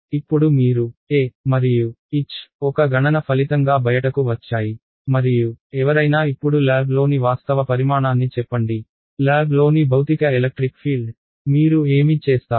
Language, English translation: Telugu, Now you have got your e and h has come out as a result of a calculation and someone says now give me the actual quantity in lab, the physical electric field in lab, what would you do